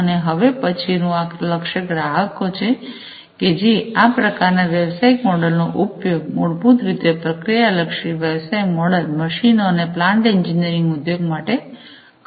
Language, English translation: Gujarati, And the next one is the target customers for use of this kind of business model the process oriented business model are basically the machines and the plant engineering industry, machine and plant engineering industry